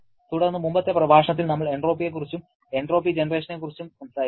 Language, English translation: Malayalam, Then, in the previous lecture, we talked about the entropy and entropy generation